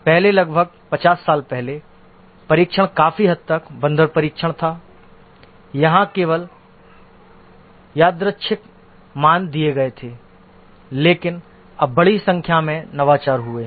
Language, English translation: Hindi, Earlier about 50 years back, the testing was largely monkey testing where only the random values were given